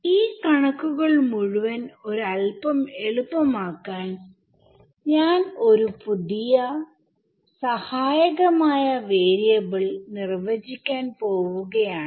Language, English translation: Malayalam, Now, to make this whole math a little bit easier, I am going to define a new auxiliary variable ok